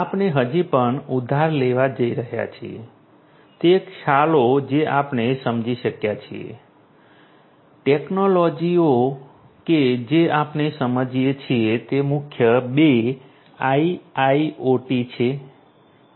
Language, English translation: Gujarati, We are going to still borrow, those concepts that we have understood the technologies that we have understood are core two IIoT